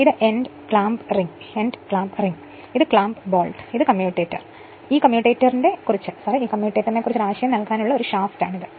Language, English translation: Malayalam, And this is end clamp ring and this is clamp bolt, this is just to give your then this is a shaft just to give one ideas about this commutator right